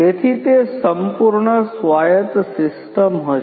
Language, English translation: Gujarati, So, that will be a fully autonomous system